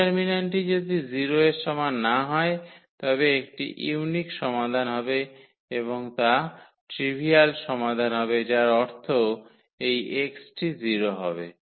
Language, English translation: Bengali, If the determinant is not equal to 0 then there will be a unique solution and that will be the trivial solution meaning this x will be 0